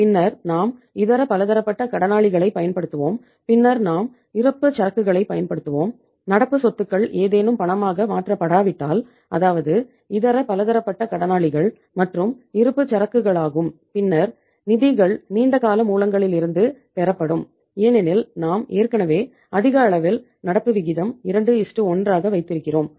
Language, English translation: Tamil, Then we will use the sundry debtors and then we use the inventory and if any of the current assets are not convertible into cash that is the sundry debtors and inventory then the funds will be roped in from the long term sources because we have already kept the current ratio too high that is 2:1